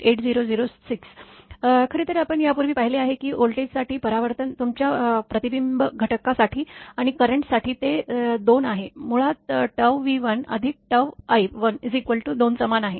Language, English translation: Marathi, Actually earlier we have seen the tau for your reflection factor for the reflection refraction coefficient for the voltage and for the current is it is 2, basically tau V 1 plus tau i 1 if it i is equal 2